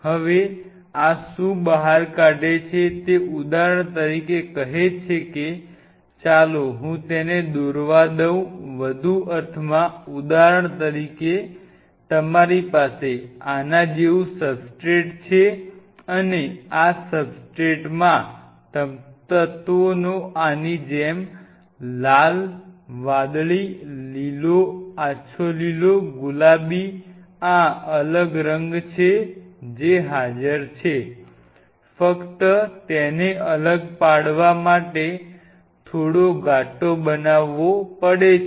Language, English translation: Gujarati, Now, what this does this ejects out it say for example, let us let me draw it the remain more sense say for example, you have a substrate like this and this substrate has these different colour of elements which are present red say, blue, green, light green, pink like this, just to distinguish a kind of making its slightly darker